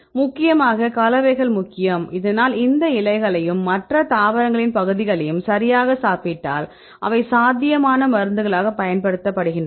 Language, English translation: Tamil, So, mainly the compounds are important, but if you eat this leaves right and several other parts of the of these plants right they are used as a potential drugs